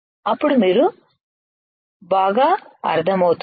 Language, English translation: Telugu, Then you will understand alright